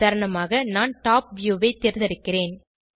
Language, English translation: Tamil, For example, I will choose Top view